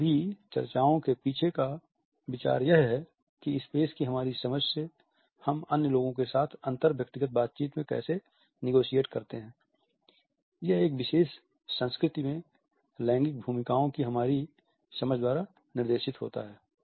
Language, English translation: Hindi, The idea behind all these discussion is that our understanding of a space how do we negotiate it in our inter personal interaction with other people is guided by our understanding of gender roles in a particular culture